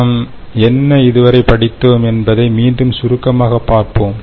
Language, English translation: Tamil, so again, let us summarize what we discussed this time